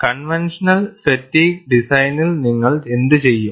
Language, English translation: Malayalam, And, what do you do in a conventional fatigue design